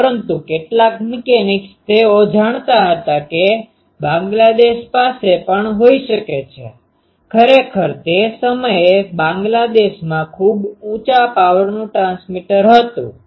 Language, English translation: Gujarati, But some mechanics they knew that Bangladesh also can be, actually Bangladesh had a very high power transmitter that time